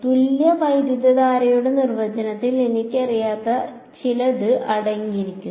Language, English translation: Malayalam, The definition of the equivalent current contains something which I do not know